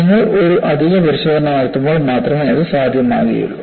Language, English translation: Malayalam, That is possible only when you do additional test